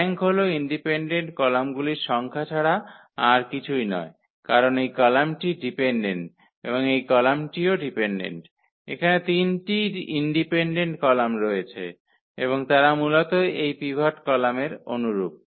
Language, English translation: Bengali, The rank is nothing but the number of independent columns in because this column is dependent and this column also dependent, there are 3 independent columns and they basically correspond to this pivot column